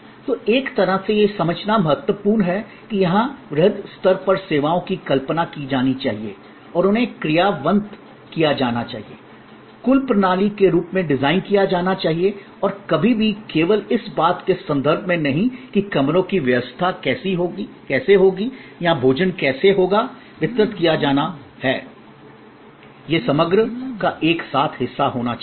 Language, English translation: Hindi, So, in a way what is important to understand here is, at a macro level services must be conceived and must be executed, must be designed as a total system and not ever in terms of just how the rooms will be arranged or how food will be delivered, it has to be all together part of composite whole